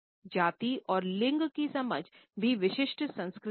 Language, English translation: Hindi, Our understandings of race and gender are also culture specific